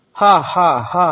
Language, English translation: Telugu, Ha ha ha ha